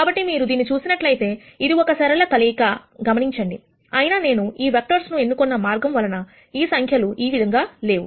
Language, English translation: Telugu, So, if you look at this, this is the linear combination notice; however, because of the way I have chosen these vectors, these numbers are not the same as this